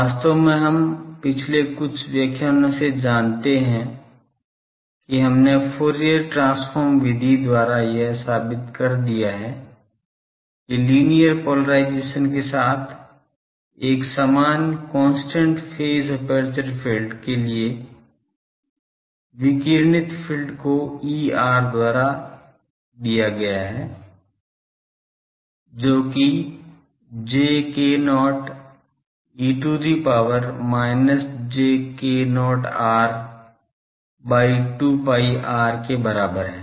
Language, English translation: Hindi, So, we know actually in few lectures back we have proved by Fourier transform method that for a uniform constant phase aperture field with linear polarisation, the radiated field is given by the expression E r j k not e to the power minus k j not r by 2 pi r; a theta f x cos phi plus f y sin phi plus a phi cos theta f y cos phi minus f x sin phi, this we have already proved